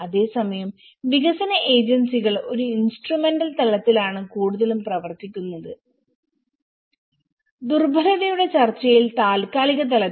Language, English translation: Malayalam, Whereas, the development agencies operate at an instrumental level mostly, temporal level in the discussion of the vulnerability